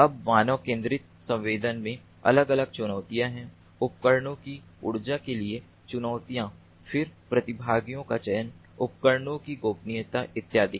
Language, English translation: Hindi, now for human centric sensing, there are different challenges: challenges with respect to the energy of the devices, then participants, selection, privacy of users and so on